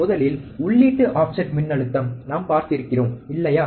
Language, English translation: Tamil, First, is input offset voltage, we have seen, right